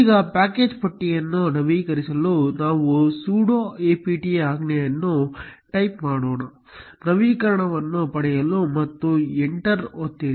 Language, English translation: Kannada, Now, to update the package list let us type the command sudo apt, get update and press enter